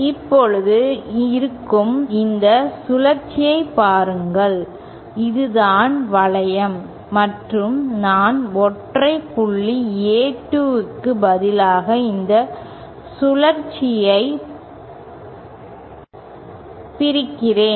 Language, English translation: Tamil, Now look at this loop that is there, this is the loop and what I do is instead of having a single point A2, let me split this loop